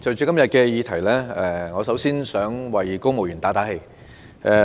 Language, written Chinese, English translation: Cantonese, 代理主席，就今天的議題，我想先為公務員打氣。, Deputy President I wish to begin my discussion on the subject matter today by saying a few words of encouragement to civil servants